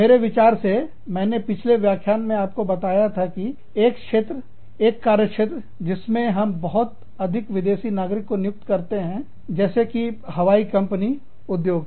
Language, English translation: Hindi, I think, in a previous lecture, i had told you, that one of the areas, one of the fields, in which, we employ a large number of foreign nationals, is the airline industry